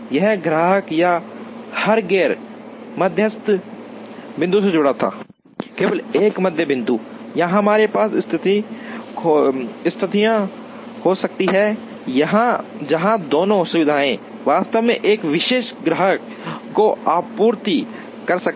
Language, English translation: Hindi, Every customer or every non median point was attached to only one median point; here we can have situations, where both two facilities can actually supply to one particular customer